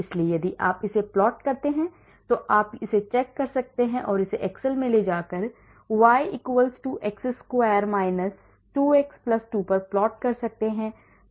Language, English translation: Hindi, so if you plot it also on, so you can cross check it and go to excel and plot it y= x square 2x+2 this is y